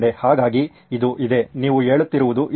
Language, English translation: Kannada, So this is there, this is what you are saying